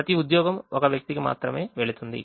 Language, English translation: Telugu, each job will go to only one person